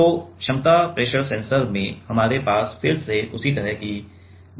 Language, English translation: Hindi, So, in capacity pressure sensor; we again we have the same kind of arrangement